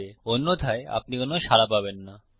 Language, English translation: Bengali, Otherwise you wont get any response